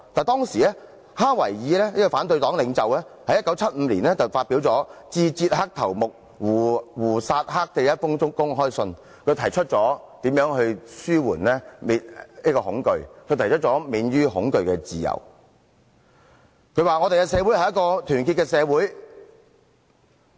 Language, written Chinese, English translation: Cantonese, 但是，當時反對黨領袖哈維爾在1975年發表《致捷克頭目胡薩克的一封公開信》，信中提出如何紓緩恐懼，如何獲得免於恐懼的自由，他說："我們的社會是一個團結的社會嗎？, But Václav HAVEL the opposition leader at that time wrote an open letter to Gustáv HUSÁK the head of Czechoslovakia . In the letter HAVEL writes about how to relieve fear among the people and how to be free from fear . He writes Is our society united?